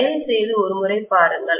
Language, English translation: Tamil, Please check it out once